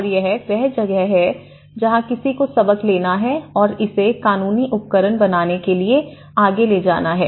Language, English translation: Hindi, And this is where one has to take these lessons and take it further to make it into a legal instruments